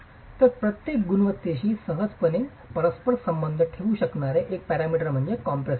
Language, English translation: Marathi, So, one parameter that can easily be correlated to every quality is compressive strength